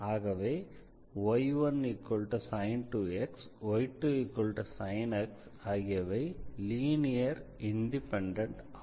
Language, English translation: Tamil, So, sin 2 x and sin x they are linearly independent